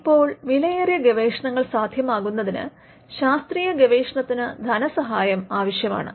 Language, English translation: Malayalam, Now, for valuable research to happen, there has to be funding in scientific research